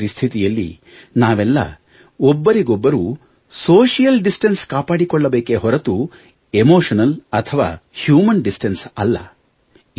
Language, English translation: Kannada, We need to understand that in the current circumstances, we need to ensure social distance, not human or emotional distance